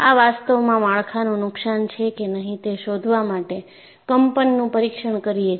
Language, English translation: Gujarati, He is actually doing a vibration test to find out whether there are any structural damage